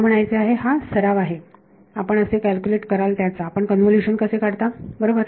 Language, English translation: Marathi, I mean this is a revision of how you calculate how you do a convolution right